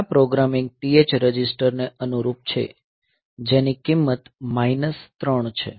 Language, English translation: Gujarati, So, this corresponds to this programming this TH register with the value minus 3